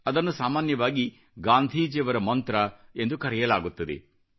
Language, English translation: Kannada, This is also known as the Gandhi Charter